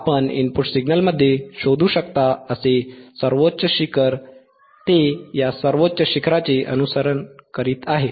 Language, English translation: Marathi, tThe highest peak that you can find in the input signal, it is following it